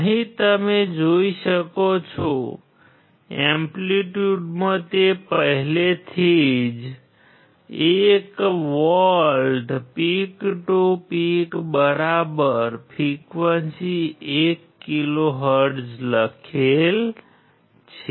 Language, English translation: Gujarati, You can see here in the amplitude it is already written 1 volt peak to peak right frequency 1 kilohertz